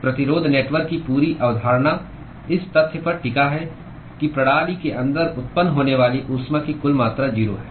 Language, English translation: Hindi, The whole concept of resistance network hinges in the fact that the total amount of heat that is generated inside the system is 0